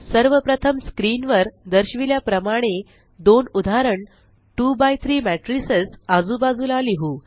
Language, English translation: Marathi, First let us write two example 2 by 3 matrices side by side as shown on the screen